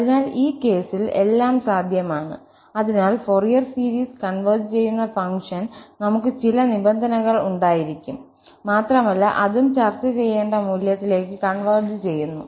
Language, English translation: Malayalam, So, everything is possible in this case, so then we should have some conditions on the function under which the Fourier series converges and converges to what value that also has to be discussed